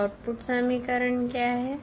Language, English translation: Hindi, So, what is the output equation